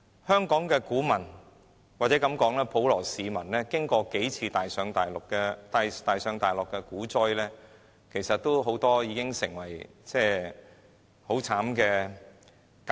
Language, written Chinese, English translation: Cantonese, 香港的股民或普羅市民在經歷了多次大上大落的股災後，很多人都已受過慘烈的教訓。, Many stock investors or the common masses in Hong Kong have already learnt a bitter lesson after experiencing the drastic fluctuations in various stock crashes